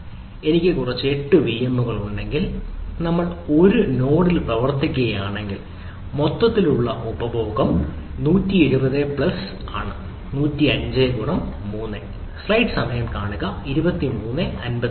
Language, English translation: Malayalam, so if i have some eight vms then ah, if we, if we, run on a one node, the overall consumption is one seventy plus one, naught five star three